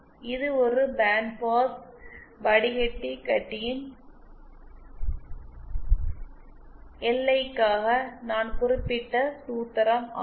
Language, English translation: Tamil, And this I just stated the formula for the LI of a band pass filter